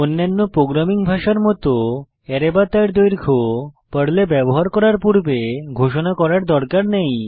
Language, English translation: Bengali, Unlike other programming languages, there is no need to declare an array or its length before using it in Perl